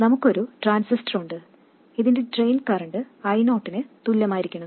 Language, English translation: Malayalam, We have a transistor and the drain current of this must become equal to I 0